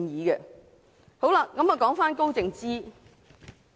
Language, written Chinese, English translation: Cantonese, 現在再說說高靜芝。, Now let me talk about Sophia KAO